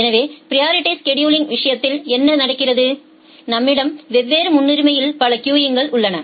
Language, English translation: Tamil, So, what happens in case of priority scheduling, we have multiple queues of different priority